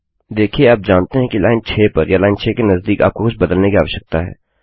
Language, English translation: Hindi, See you know you need to change something on line 6 or nearer line 6